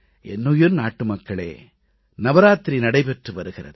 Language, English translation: Tamil, My dear countrymen, Navratras are going on